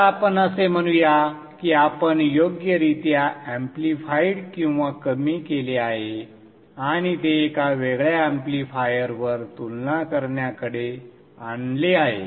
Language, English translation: Marathi, So let us say we sense it, appropriately amplify it or attenuated and bring it to a compar amplifier